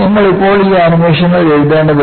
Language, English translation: Malayalam, You do not have to write this animation currently